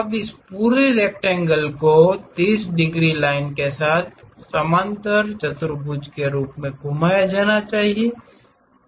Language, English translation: Hindi, Now, this entire rectangle has to be rotated as a parallelogram with that 30 degrees line